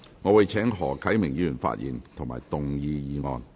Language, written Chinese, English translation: Cantonese, 我請何啟明議員發言及動議議案。, I call upon Mr HO Kai - ming to speak and move the motion